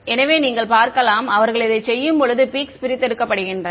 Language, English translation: Tamil, So, you can see that when they do this the peaks are extracted out